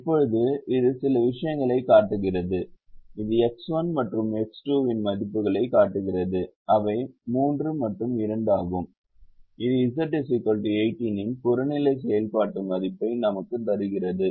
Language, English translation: Tamil, it shows the values of x one and x two, which are three and two, which gives us the objective function value of z is equal to eighteen